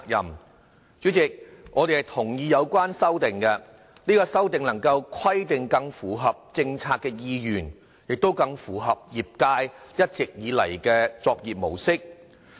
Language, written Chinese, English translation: Cantonese, 代理主席，我們同意有關修訂，這些修訂能規定更符合政策的意願，亦更符合業界一直以來的作業模式。, Deputy President we concur with the relevant amendments as we think they better meet the policy intents and are more in line with the long - time practice in the trade